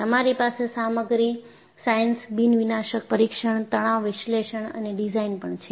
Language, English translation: Gujarati, And, you have Material science, Nondestructive testing, Stress analysis and design